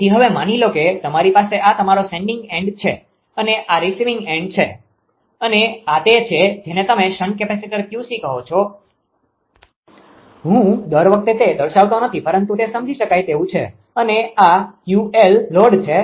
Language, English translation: Gujarati, So, now suppose ah suppose you have this is your sending end and this is your receiving end right and your this is your what you call that shunt capacitor is connected Q c; j I have not shown here every time, but understandable and this is the Q load right